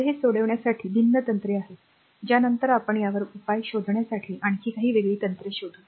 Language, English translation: Marathi, These are the different techniques ah we later we will find out some more different techniques to find out this solution of this